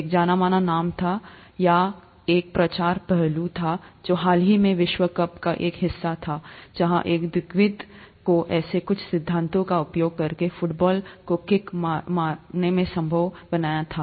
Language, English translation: Hindi, There was a, a well known, or there was a publicity aspect that was also a part of the recent world cup, where a quadriplegic was supposed to kick the football using some such principles